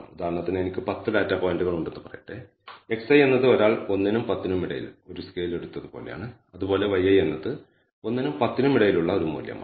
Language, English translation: Malayalam, So, for example, let us say I have 10 data points in this case x i is like a somebody has taken a scale between let us say 2 and 10, 1 and 10 and similarly y is also a value between 1 and 10